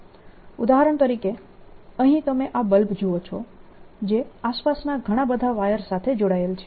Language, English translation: Gujarati, for example, here you see this bulb which is connected to a lot of wires going around